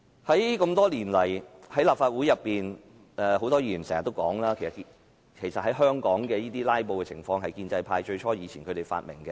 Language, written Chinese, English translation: Cantonese, 這麼多年來，在立法會裏面，很多議員經常說，香港的"拉布"，最初是建制派"發明"。, Over the years in the Legislative Council many Members have often commented that the filibustering in Hong Kong is initially invented by the pro - establishment camp